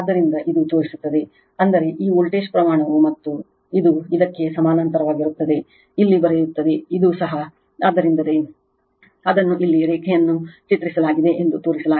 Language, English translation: Kannada, So, this is this shows the; that means, this voltage magnitude is V p and this one is parallel to this will write here this is also V p right, so that is why it is drawn it here dash line it is shown